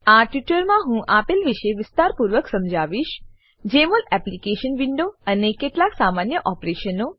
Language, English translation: Gujarati, In this tutorial, I will briefly explain about: Jmol Application window and some basic operations